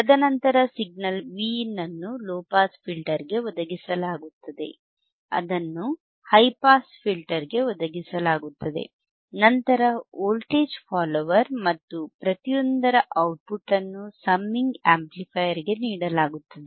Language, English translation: Kannada, And then the signal Vin is provided the signal Vin is provided to low pass filter, it is provided to high pass filter, followed by voltage follower and the output of each is fed output here you have see this output is fed output is fed to the summing amplifier right